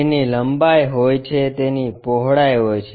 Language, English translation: Gujarati, It has length, it has breadth